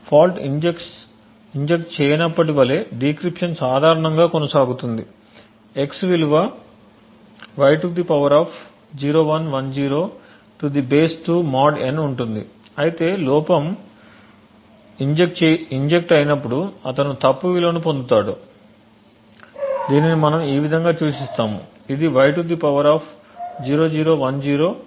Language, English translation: Telugu, Now the decryption goes on as normal now when the fault is not injected x would have the value y to power of 0110 to the base 2 mod n while in the case when the fault is injected he would get a wrong value which we denote as this which is y to power of 0010 to base 2 mod n